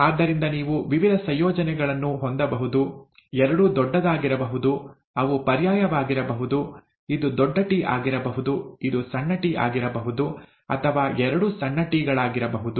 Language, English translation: Kannada, So you could have various combinations, both could be capital; they could be alternate, one could be, this one could be T, this one could be small t, this one could be small t, this one could be T, or both could be small ts